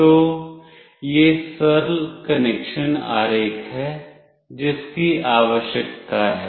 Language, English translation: Hindi, So, this is the simple connection diagram that is required